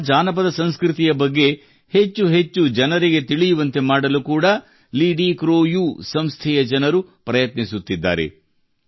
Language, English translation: Kannada, People at LidiCroU try to make more and more people know about Naga folkculture